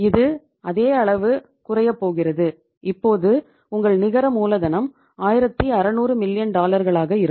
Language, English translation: Tamil, So it is going to reduce by the same amount and your now net working capital is going to be 1600 million dollars